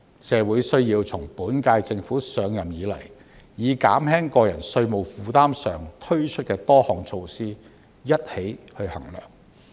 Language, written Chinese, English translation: Cantonese, 社會需要從本屆政府上任以來，將減輕個人稅務負擔上推出的多項措施一起衡量。, The community should assess this in conjunction with the many measures introduced by the current - term Government since its assumption of office to alleviate tax burden of individual taxpayers